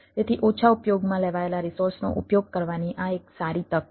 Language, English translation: Gujarati, so this is a good chance of using underutilized resources